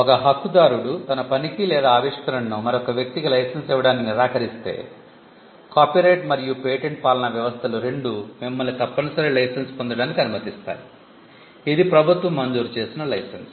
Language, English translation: Telugu, If the right holder refuses to license his work or his invention to another person, both the copyright regime and the pattern regime allow you to seek a compulsory license, which is a license granted by the government